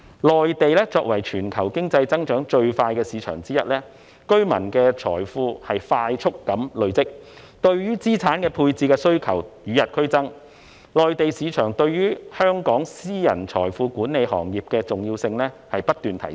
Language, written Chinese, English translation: Cantonese, 內地作為全球經濟增長最快的市場之一，居民的財富快速累積，對於資產配置的需求與日俱增，內地市場對於香港私人財富管理行業的重要性不斷提升。, The Mainland is one of the worlds fastest growing markets where people rapidly accumulate wealth . With their increasing demand for asset allocation services the Mainland market has become increasingly important to the private wealth management industry of Hong Kong